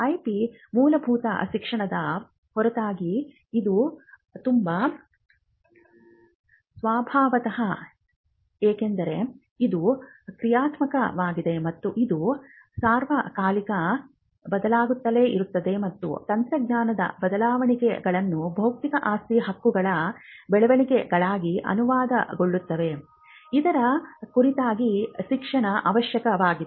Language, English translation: Kannada, Apart from the basic education IP by it is very nature because it is dynamic and it keeps changing all the time and there are developments in technology which gets translated into developments in intellectual property right, you find that there is a need for ongoing education